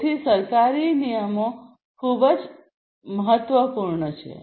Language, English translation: Gujarati, So, government regulations are very important